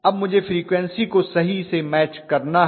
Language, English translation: Hindi, Now I have to match the frequency, exactly okay